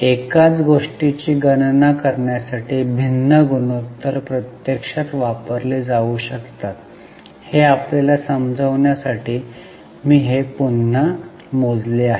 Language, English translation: Marathi, I have just calculated it again to make you understand that different ratios can be used actually to calculate the same thing